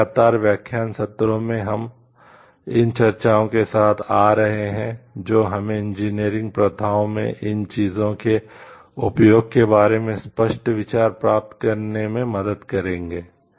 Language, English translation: Hindi, And in consecutive lecture sessions we will be coming up with these discussions which will help us to get a more clear idea about the use of these things in engineering practices